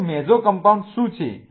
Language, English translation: Gujarati, So, what are mesocompounds